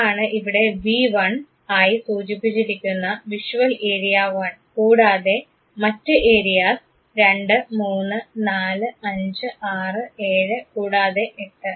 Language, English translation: Malayalam, That is visual area 1 mentioned here as V1 and areas 2, 3, 4, 5, 6, 7 and 8